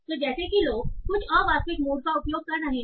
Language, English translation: Hindi, So, like if people are using some a realist mood